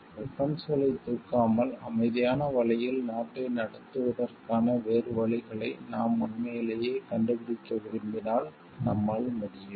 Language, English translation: Tamil, We can if we really want to find out other ways of running the country in a peaceful way without raising the weapons